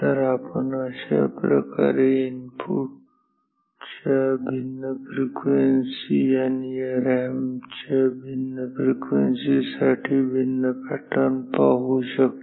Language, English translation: Marathi, So, this way you possibly can draw different patterns for different frequencies of the input and the different frequencies of the this ramp ok